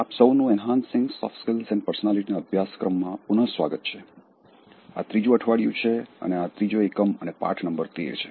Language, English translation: Gujarati, Welcome back to my course on Enhancing Soft Skills and Personality, this is the third week, and this is the third unit and lesson number thirteen